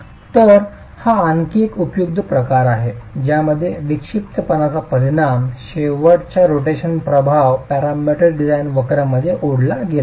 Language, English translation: Marathi, So, this is another useful form in which the effect of eccentricity effect of the end rotations have been captured in parametric design curves